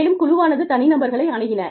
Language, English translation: Tamil, And, the teams approached individuals